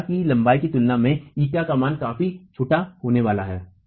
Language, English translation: Hindi, ETA value is going to be significantly small in comparison to the length of the wall